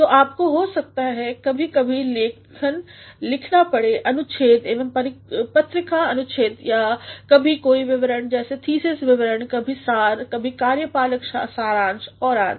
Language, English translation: Hindi, So, you may have to, from time to time, write papers, articles also journal articles or sometimes some reports such as thesis reports, sometimes synopsis, sometimes executive summaries and all